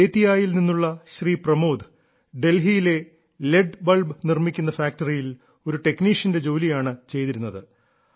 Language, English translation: Malayalam, A resident of Bettiah, Pramod ji worked as a technician in an LED bulb manufacturing factory in Delhi